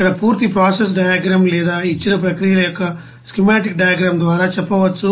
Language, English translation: Telugu, Here the complete you know process diagram or you can say schematic diagram of the processes given